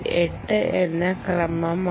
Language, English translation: Malayalam, its an eight bit